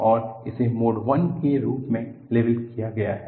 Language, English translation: Hindi, This is labeled as Mode I